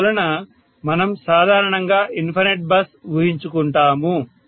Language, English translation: Telugu, So we normally go with the assumption of infinite bus, right